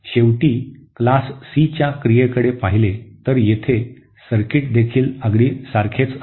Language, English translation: Marathi, And finally coming to Class C operation where the circuit is also exactly the same